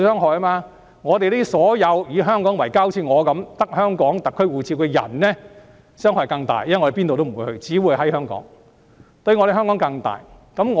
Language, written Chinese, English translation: Cantonese, 這對像我一樣以香港為家的人，只持有香港特區護照的人傷害更大，因為我們哪裏也不會去，只會留在香港。, This will do greater harm to people like me who treat Hong Kong as our home and hold only Hong Kong SAR passports for the reason that we will go nowhere but only stay in Hong Kong